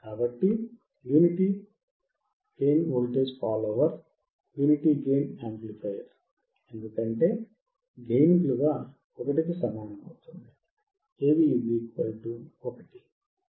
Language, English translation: Telugu, So, unity gain voltage follower, Unity gain amplifier because the gain is 1, AV = 1